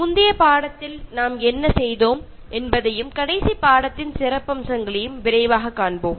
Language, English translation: Tamil, Let us take a quick look at what I did in the previous lesson, highlights of the last lesson